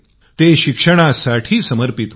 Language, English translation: Marathi, He was committed to being a teacher